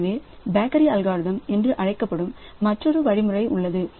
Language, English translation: Tamil, So, there is another algorithm called bakery algorithm